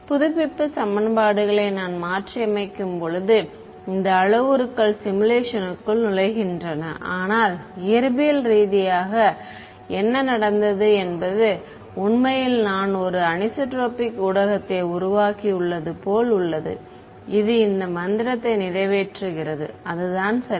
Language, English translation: Tamil, When I modify the update equations these parameters enter inside the simulation, but physically what has happened physically I have actually created some kind of a anisotropic medium which is accomplishing this magic that is what has happened ok